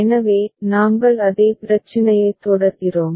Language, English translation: Tamil, So, we are continuing with the same problem right